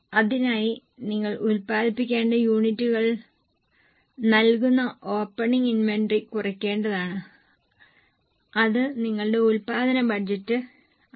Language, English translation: Malayalam, To that you need to reduce the opening inventory which will give you the units to be produced